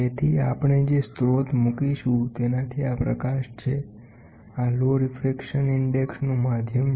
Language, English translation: Gujarati, So, this is light from source we will put, this is a medium of low refraction index refractive index